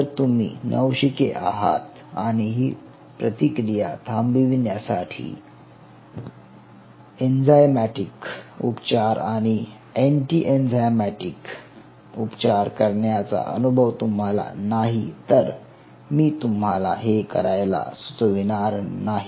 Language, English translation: Marathi, but if you are a novice and if you are not very keen to use a, any kind of enzymatic treatment and anti enzymatic treatment to stop that reaction, i will not recommend you this